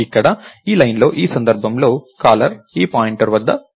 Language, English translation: Telugu, So, in this case in this line here, the caller is at this point right